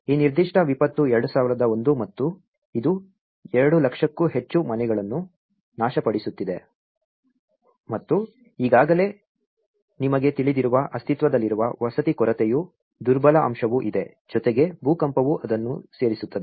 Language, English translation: Kannada, So this particular disaster 2001 and this has been destroying more than 200,000 houses and already there is also vulnerable component of existing housing shortage you know, plus the earthquake the disaster adds on to it